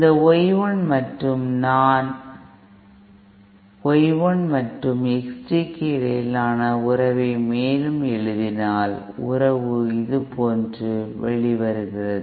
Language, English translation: Tamil, This Y 1 and if I further write the relationship between Y 1 and X t, the relationship comes out like this